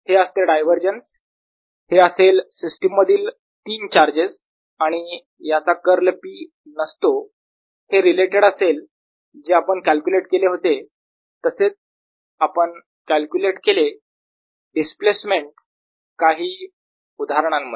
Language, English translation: Marathi, its divergence is equal to three charge in the system and its curl is not zero and it is related to to and and we have calculated some ah displacement for certain examples